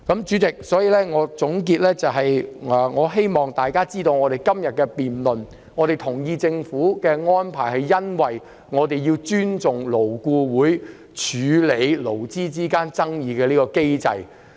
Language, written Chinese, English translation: Cantonese, 主席，作為總結，我希望大家明白在今天的辯論中，我們同意政府的安排，是由於我們要尊重勞顧會處理勞資爭議的機制。, Chairman in conclusion I hope we all understand that in todays debate we accept the Governments proposal out of respect for the mechanism adopted by LAB in handling labour disputes